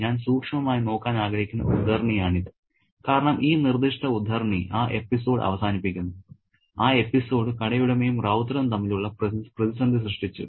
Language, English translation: Malayalam, This is the extract that I want to look closely because this particular extract finishes off that episode, that episode about the crisis between the shop owner and Ravutta